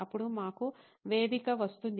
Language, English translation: Telugu, Then, comes the stage for us